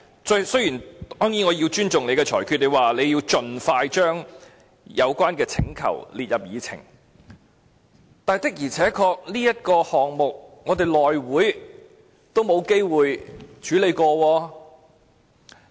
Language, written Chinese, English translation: Cantonese, 當然，我亦會尊重主席的裁決，就是說要盡快把有關請求列入議程，但這事項的確在內務委員會上也是未有機會處理的。, Of course I will respect the Presidents ruling that is to say the request should be included in the meeting agenda as soon as possible . It is true that even the House Committee still do not have the opportunity to deal with the issue at its meeting